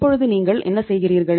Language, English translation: Tamil, In that case what are you doing